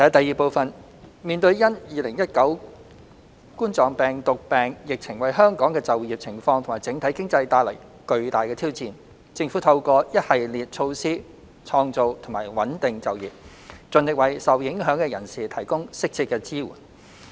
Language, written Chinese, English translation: Cantonese, 二面對因2019冠狀病毒病疫情為香港的就業情況及整體經濟帶來巨大的挑戰，政府透過一系列措施創造及穩定就業，盡力為受影響的人士提供適切支援。, 2 In the wake of the tremendous challenge brought about by the coronavirus disease 2019 COVID - 19 pandemic to Hong Kongs employment condition and overall economy the Government has implemented a host of measures to create and stabilize employment and strive to provide appropriate assistance to affected persons